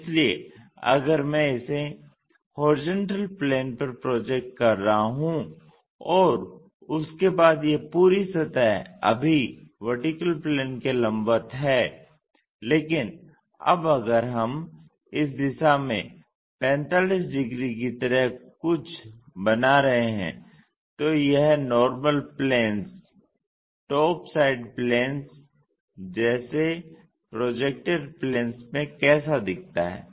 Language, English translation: Hindi, And this entire surface after that; this entire surface right now perpendicular to the vertical plane, but now if we are making something like in this direction 45 degrees, how does that really look like in the projected planes like normal planestop side planes